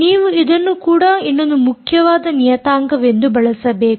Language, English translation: Kannada, you will have to use this also as a another important parameter